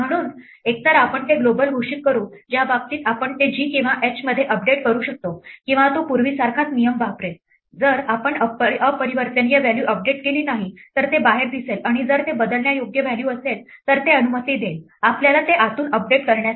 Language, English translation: Marathi, So, either we will declare it global in which case we can update it within g or h or it will use the same rule as before if we do not update an immutable value it will look outside and if it is a mutable value it will allow us to update it from inside